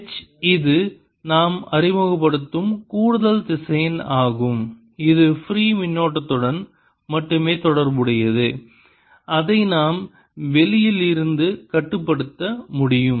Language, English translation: Tamil, h is an additional vector which we are introducing that is related only to free current, which we can control from outside